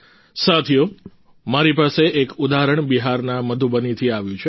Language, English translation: Gujarati, before me is an example that has come from Madhubani in Bihar